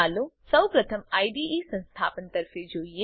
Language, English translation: Gujarati, Let us first look at installing the IDE